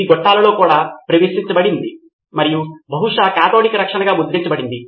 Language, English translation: Telugu, It was introduced in pipelines and probably branded as cathodic protection